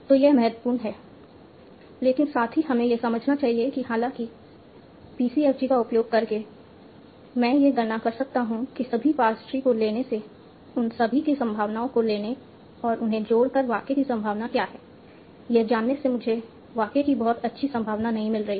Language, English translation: Hindi, So this is important but at the same time we should understand that although by using PCFG I can compute what is the probability of the sentence by taking all the past trees, taking the individual probabilities and adding them up